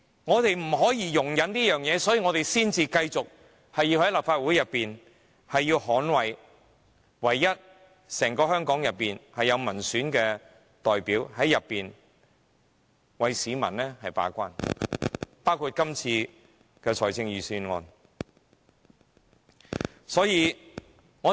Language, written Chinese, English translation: Cantonese, 我們就是不能容忍這些事，所以我們才要繼續留在立法會內，捍衞這個在香港3個權力機構當中，唯一有民選代表的機構，在議會內為市民把關，包括今次的預算案。, Such is a situation we cannot tolerate . That is why we want to stay in the Legislative Council so as to defend this very institution this only institution among the three powers that consists of elected representatives of the people . We want to stay in the legislature to act as a watchdog for the people in its work including the scrutiny of this Budget